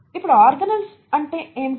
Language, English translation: Telugu, Now, what are organelles